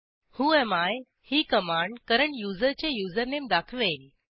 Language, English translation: Marathi, whoami command gives the username of the current user